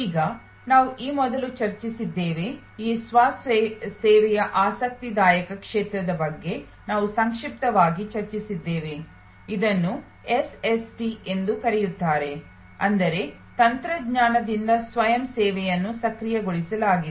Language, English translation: Kannada, Now, these things we have discussed before, we did briefly discuss about this interesting area of self service, also known as SST that means Self Service enabled by Technology